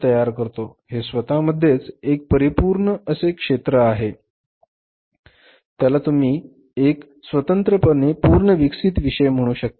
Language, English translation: Marathi, Similarly if you talk about the cost accounting cost accounting is also itself a very very say you can call it as full fledged fully developed a subject